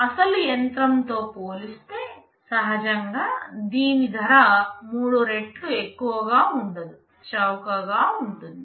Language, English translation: Telugu, Naturally this will not be costing three times as compared to the original machine, this will be cheaper